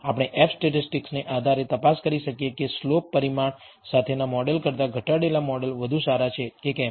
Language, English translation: Gujarati, We can also check based on the f statistic whether the reduced model is better than the model with the slope parameter